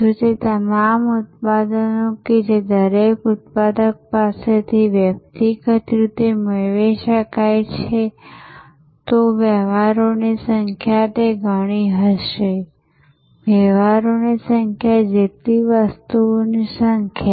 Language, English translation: Gujarati, If all those products that could be sourced individually from each manufacturer, then the number of transactions would have been those many, the number of items equal to the number of transactions